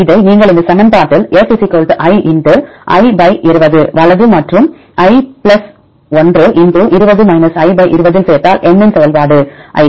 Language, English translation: Tamil, Then if you add this in this equation F = i * (i / 20) right and (i + 1) * (20 – i) / 20 in the function of n,i